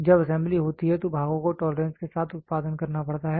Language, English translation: Hindi, When assembly has to happen parts have to be produced with tolerance